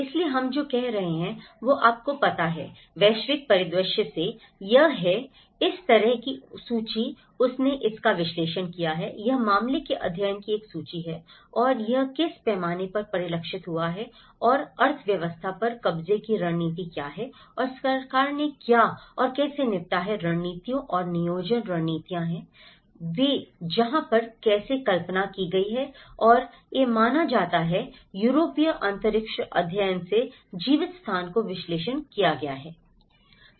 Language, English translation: Hindi, So, what we can say is you know, from the global scenario, there is, this is the list of the way she have analyzed it, this is a list of the case studies and what scale it has been reflected and what is the economy occupation strategies and what and how the government have dealt with the strategies and how the planning strategies are that is where how the conceived and the perceived, lived space have been analyzed from the European case studies